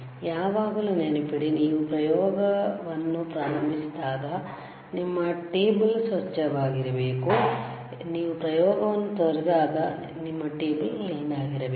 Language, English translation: Kannada, Always remember, when you start the experiment, your table should be clean; when you leave the experiment your table should be clean, right